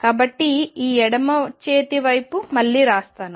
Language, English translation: Telugu, So, let me write this left hand side again